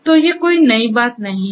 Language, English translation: Hindi, So, you know these are not new